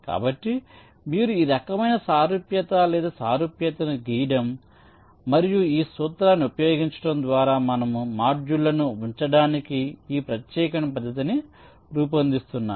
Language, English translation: Telugu, so this kind of similarity or analogy you were drawing and using this principle we are faming, or formulating this particular method for placing the modules